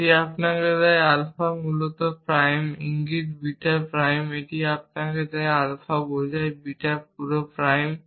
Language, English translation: Bengali, So in fact, when applied alpha implies beta, it gives you alpha prime implies beta prime or it gives you alpha implies beta whole prime